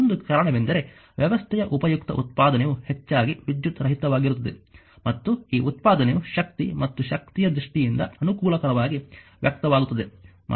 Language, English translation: Kannada, One reason is that useful output of the system often is non electrical and this output is conveniently expressed in terms of power and energy